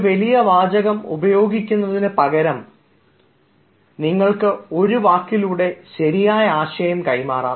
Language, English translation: Malayalam, instead of putting a big phrase, you can simply right one word